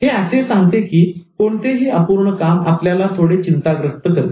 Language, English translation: Marathi, It simply says that any unfinished activity will give you some anxiety